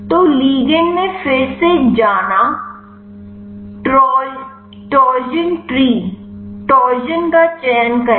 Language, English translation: Hindi, So, go to ligand again torsion tree choose torsions